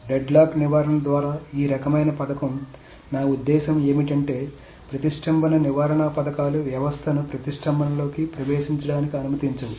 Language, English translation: Telugu, So what I mean by deadlock prevention is that this type of schemes, the deadlock prevention schemes, never allow a system to enter into a deadlock